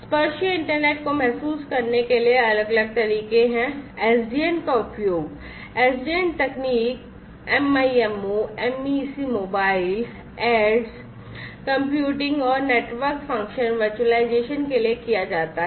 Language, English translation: Hindi, So, there are different ways to realize the tactile internet SDN is heavily used SDN technology, MIMO, MEC mobile aids computing, and network function virtualization